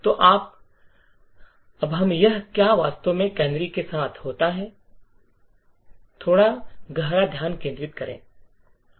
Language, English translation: Hindi, So, now let us dwell a little more deeper into what actually happens with canaries